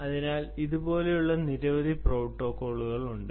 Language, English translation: Malayalam, already there are so many protocols that are there